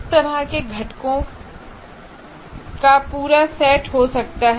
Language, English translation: Hindi, There are a whole set of components like that